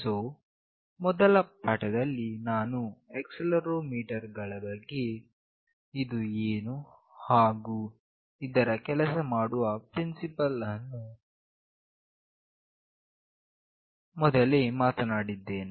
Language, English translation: Kannada, So, in the first lecture, I will be discussing about accelerometer what it is and what is the principle operation